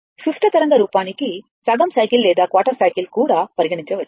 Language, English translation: Telugu, For symmetrical waveform, you have to consider half cycle or even quarter cycle looking at this